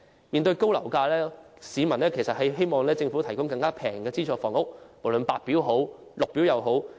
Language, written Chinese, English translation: Cantonese, 面對樓價高企，市民都希望政府能夠提供更便宜的資助房屋，無論是白表還是綠表房屋。, As property prices are standing high people hope the Government can provide more affordable subsidized housing be it White Form or Green Form housing